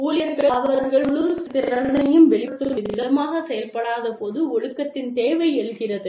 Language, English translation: Tamil, The need for discipline arises, when employees are not doing, what is expected of them